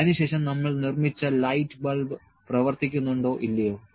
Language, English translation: Malayalam, Then whether the light bulb that we have produced to works or not